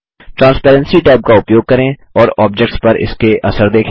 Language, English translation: Hindi, Use the Transparency tab and see its effects on the objects